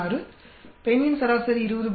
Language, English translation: Tamil, 6, average of female is 20